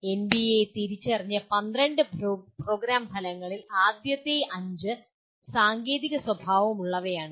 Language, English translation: Malayalam, And out of the 12 Program Outcomes identified by NBA, the first 5 are dominantly technical in nature